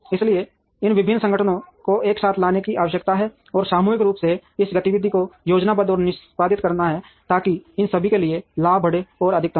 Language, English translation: Hindi, So, there is the need to bring these various organizations together, and collectively plan and execute this activity, so that the profits for all of them are increased and maximized